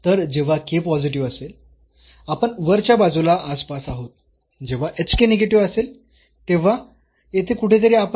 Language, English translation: Marathi, So, either when k positives, we are in the neighborhood of upper side when the h k is negative we are in the neighborhood somewhere here